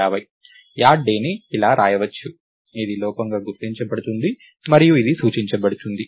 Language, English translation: Telugu, add day can be written in such a way that this can be recognized as an error and this can be indicated